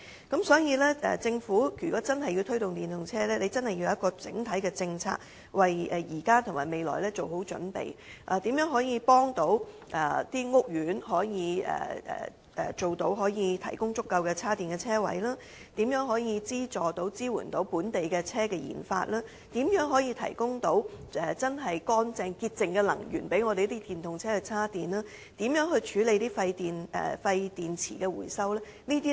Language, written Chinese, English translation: Cantonese, 因此，如果政府真的想推動電動車發展，必須要有完整政策，為現時及未來做好準備，例如如何協助屋苑提供足夠充電車位，如何資助及支援本地車輛研發工作，如何提供潔淨能力予電動車充電，以及如何處理廢舊電池回收等。, Hence if the Government truly wishes to promote the development of EVs it must have a comprehensive policy to properly prepare for the present and the future such as finding ways to assist housing estates in providing adequate parking spaces with charging facilities to fund and assist the research and development of local vehicles to providing clean energy for charging EVs to handle the recycling of retired batteries etc